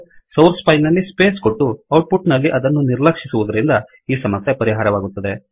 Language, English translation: Kannada, This is solved by allowing the space in the source file and ignoring it in the output